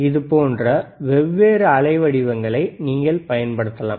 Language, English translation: Tamil, So, this is thehow you can you can apply different waveforms, right